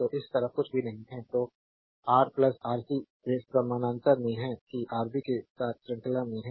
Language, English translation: Hindi, So, this side nothing is there right and so, Ra plus Rc they are in series along with that Rb in parallel